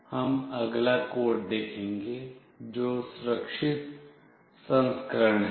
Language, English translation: Hindi, Now, we will see the next code, which is the secure version